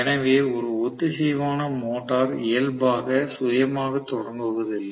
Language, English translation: Tamil, So synchronous motor is not inherently self starting